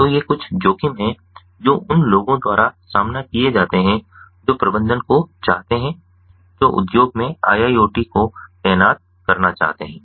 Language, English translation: Hindi, so these are some of the risks that are that are faced by ah people who want to the management, who want to deploy iiot in the industry